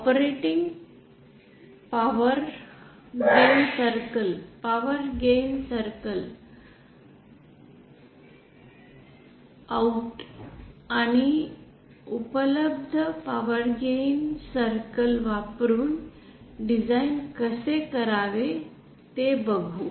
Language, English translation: Marathi, And also how to design using the operating power circles power gain circle out and then available power gain circles